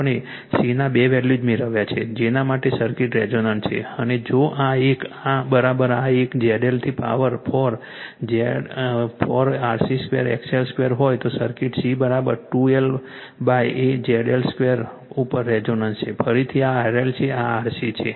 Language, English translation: Gujarati, We obtained two values of c for which the circuit is resonance and if this one is equal to this 1 ZL to the power four is equal to 4 RC square XL square the circuit is resonance at C is equal to 2 L upon ZL square right again this is for L this is for C